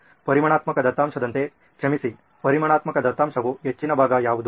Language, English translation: Kannada, So, like a quantitative data, sorry, quantitative data is what is the high side